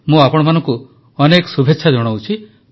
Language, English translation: Odia, Best wishes to all of you